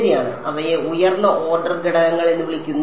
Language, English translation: Malayalam, Right those are called higher order elements